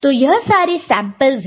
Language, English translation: Hindi, So, these are the samples – ok